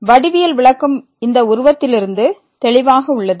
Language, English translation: Tamil, The geometrical interpretation is as clear from this figure